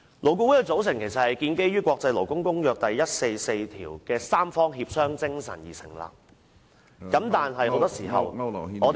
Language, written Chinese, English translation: Cantonese, 勞顧會是按照《國際勞工公約》第144號的三方協商精神而成立，但很多時候我們看到......, LAB was established under the spirit of tripartite consultation as provided in the International Labour Organisation Convention No . 144 but very often we see that